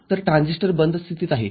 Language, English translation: Marathi, So, B transistor is in off state